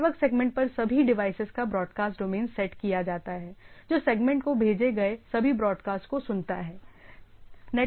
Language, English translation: Hindi, Broadcast domain set of all devices on a network segment that hear all the broadcasts send to the segment